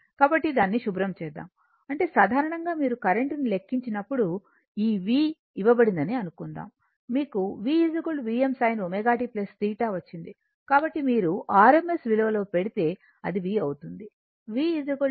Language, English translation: Telugu, So, let me clear it, that means in general when you compute the current suppose this v is given, we got v is equal to v m sin omega t plus theta that you got, so that means, if you put in rms value, it will be v, v is equal to v m by root 2 right, and angle your theta right